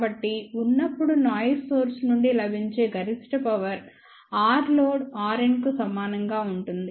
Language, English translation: Telugu, So, maximum available power from noise source will be when R load is equal to R n